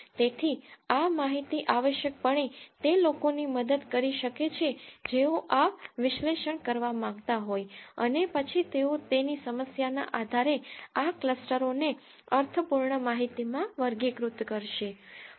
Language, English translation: Gujarati, So, this information can essentially help the people who wanted to do this analysis and then categorize these clusters into meaningful information depending upon the problem they are looking at